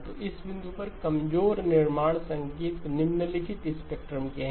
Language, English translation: Hindi, So the weak constructed signal at this point has the following spectrum